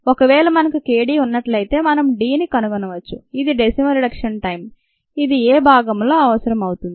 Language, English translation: Telugu, if we have k d, we can find out d, which is the decimal reduction time, which is what is you required in part a